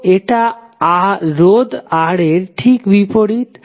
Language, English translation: Bengali, So it is just opposite to the resistance R